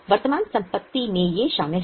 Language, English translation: Hindi, What are the current assets